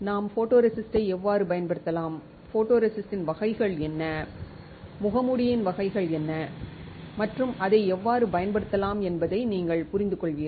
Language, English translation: Tamil, You will understand how we can use photoresist, what are the types of photoresist, what are the types of mask and how we can use it